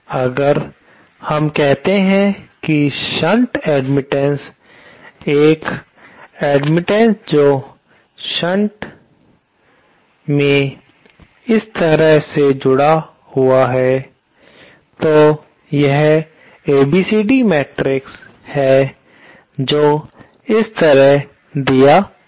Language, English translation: Hindi, If we have say a shunt admittance, an admittance connected in shunt like this, then it is ABCD matrix is given like this